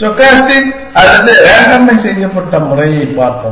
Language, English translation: Tamil, Let us look at stochastic or randomized method